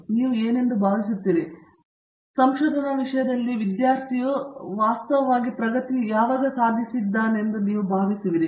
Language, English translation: Kannada, How would you feel, when do you feel you know the student is actually making progress in a general sense with respect to research